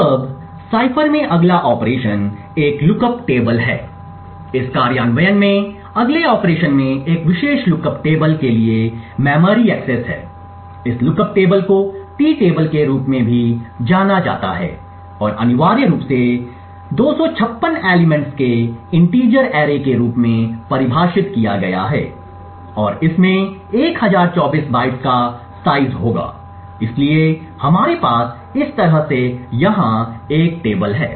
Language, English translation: Hindi, Now the next operation in the cipher is a lookup table, in the next operation in this implementation is memory access to a specific lookup table, this lookup table is known as the T table and essentially is defined as an integer array of 256 elements and would have the size of 1024 bytes, so we have a table over here like this and so on